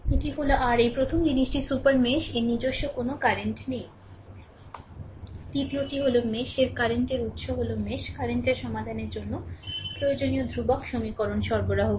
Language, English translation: Bengali, This is your this is your this is the first thing a super mesh has no current of its own Second one is the current source in the super mesh provides the constant equation necessary to solve for the mesh current